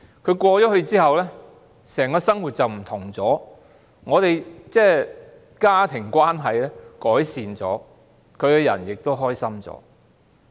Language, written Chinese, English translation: Cantonese, 他轉校後，整個生活改變了，家庭關係有所改善，他亦開心了。, After he had changed school his entire life changed our family relationship improved and he was also happier